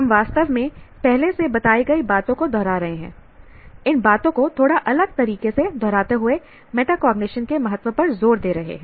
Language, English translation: Hindi, I'm just repeating these things in a slightly different way to emphasize the importance of metacognition